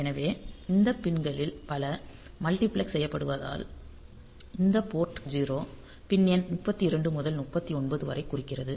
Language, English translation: Tamil, So, many of these pins so they are multiplexed like you see that this P 0 the port 0 the these pins at pin number 3 2 to 3 9